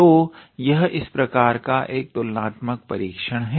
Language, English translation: Hindi, So, this is one such type of comparison test